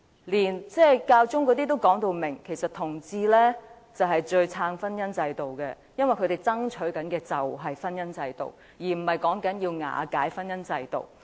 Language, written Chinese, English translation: Cantonese, 連教宗也說其實同志是最支持婚姻制度的，因為他們正在爭取的便是婚姻制度，而不是瓦解婚姻制度。, Even the Pope has said that LGBTs are actually most supportive of the marriage institution for what they have been fighting for is precisely a marriage institution not the breakdown of it